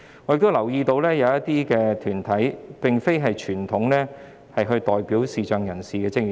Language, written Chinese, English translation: Cantonese, 我亦留意到，社會近期出現了一些非傳統上代表視障人士的團體。, I have also noticed the recent emergence of some non - traditional groups representing visually blind persons in the community